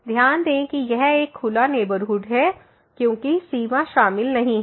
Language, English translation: Hindi, Note that this is a open neighborhood because the boundary is not included